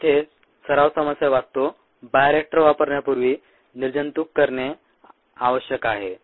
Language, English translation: Marathi, ok, the practice problem here reads: a bioreactor needs to be sterilized before use